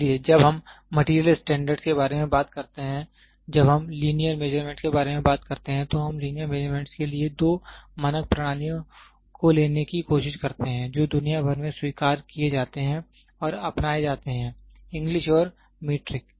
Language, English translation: Hindi, So, when we talk about material standards and when we talk about linear measurements, we try to take two standard systems for linear measurement that has being accepted and adopted worldwide are English and Metric